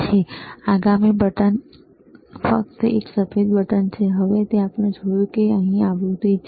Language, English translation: Gujarati, Now, next button which is a white button, now we have seen this is a frequency here